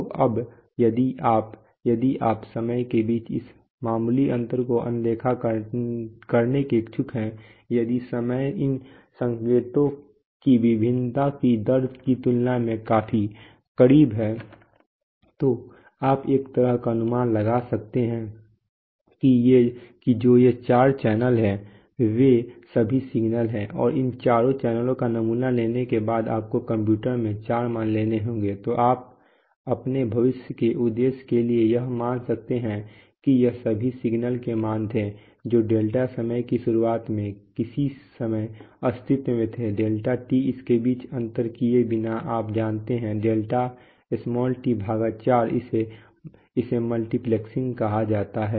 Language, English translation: Hindi, So now, if you, if you are willing to ignore this slight difference between the timings that is if the, if the time is close enough compared to the rate of variation of these signals then you can kind of, kind of implicitly assume that they’re all signals, which are, which these are the four channels and after sampling this four channels you would get into the computer four values, so you can, for your future purpose you can assume that those were the values of the signals all the four which existed at some time at the beginning of delta time, delta T without differentiating between this, you know, delta t by 4 and all that